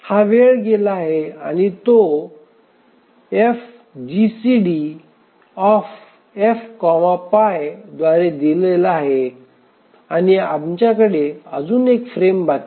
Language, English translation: Marathi, So, this much time has elapsed and this is given by F minus GCD F PI and we have just one more frame is remaining